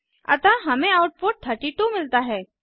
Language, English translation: Hindi, So we get the output as 32